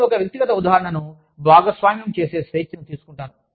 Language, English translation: Telugu, I will take the liberty of sharing, a personal example